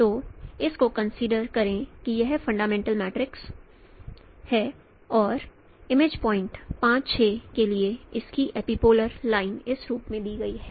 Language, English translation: Hindi, So consider this is the fundamental matrix and for the image point 56 its epipolar line is given in this form